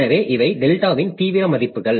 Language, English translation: Tamil, So, these are the extreme values of delta